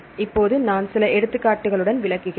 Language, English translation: Tamil, Now I will explain with some examples